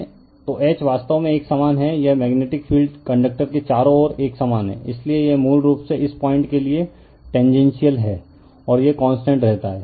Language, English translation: Hindi, So, then H actually it is uniform this magnetic field is uniform around the conductor, so, it is basically tangential to this point, and it remains constant right